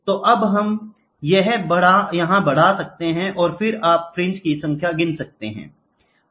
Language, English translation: Hindi, So, it gets amplified and then you count the number of fringes